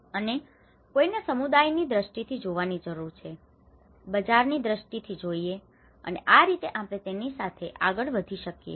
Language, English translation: Gujarati, And one need to look from the community perspective, look from the market perspective, and this is how we can go ahead with it